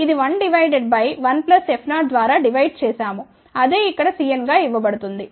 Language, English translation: Telugu, 001, this is 1 divided by 1 plus F 0 just the expression of C n has been written over here which is write here